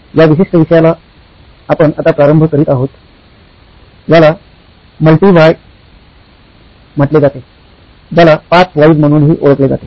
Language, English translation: Marathi, This particular topic we are starting now is called Multi Why, also popularly known as 5 Whys